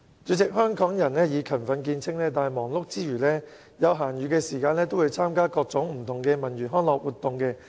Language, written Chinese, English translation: Cantonese, 主席，香港人以勤奮見稱，但忙碌之餘，有閒暇時亦會參與各種不同文娛康樂活動。, President Hong Kong people are known to be industrious . But no matter how busy they are they will also participate in various kinds of cultural and recreational activities during spare time